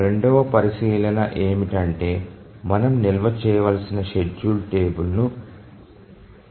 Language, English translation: Telugu, The second consideration is minimization of the schedule table that we have to store